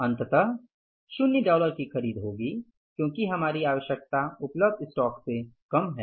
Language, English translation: Hindi, Dollars, zero or nil will be purchased because our requirement is lesser than but we already have in the stock